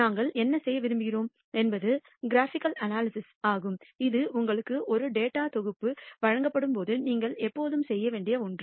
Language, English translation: Tamil, What we want to do is also graphical analysis this is something that you should always do when you are given a data set